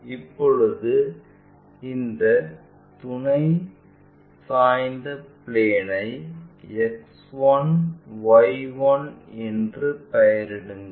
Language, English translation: Tamil, Now, name this auxiliary inclined plane as X 1 Y 1